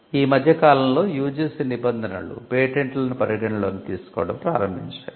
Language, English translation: Telugu, Though now we find the UGC norms have recently started considering patents filed as well